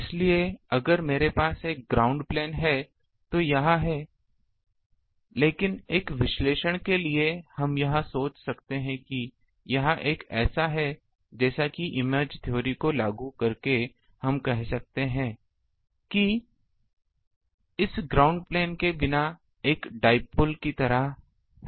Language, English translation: Hindi, So, if I have a ground plane ah then this, but for a analysis we can think that it is like a this by applying image theory we can say that, it is just like a dipole without this ground plane